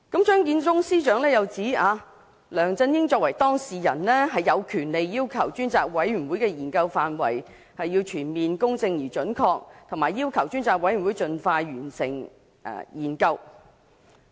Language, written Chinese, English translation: Cantonese, 張建宗司長又指梁振英作為當事人，有權要求專責委員會的研究範圍要全面公正而準確，以及盡快完成研究。, Chief Secretary Matthew CHEUNG also said that as the subject of inquiry LEUNG Chun - ying had the right to require the areas of study of the Select Committee to be comprehensive fair and accurate